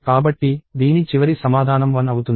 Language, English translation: Telugu, So, 1 is the final answer for this